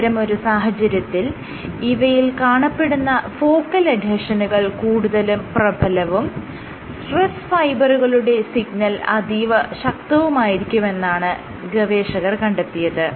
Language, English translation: Malayalam, What they found was focal adhesion signal was much more prominent for the stars, and accordingly the stress fiber signal was also much more potent